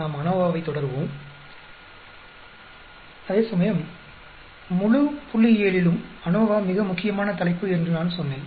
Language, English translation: Tamil, Whereas I said ANOVA is the most important topic in the entire statistics